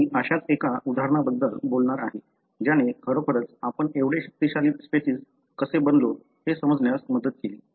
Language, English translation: Marathi, I am going to talk about one such example which really helped us to understand how we became so powerful species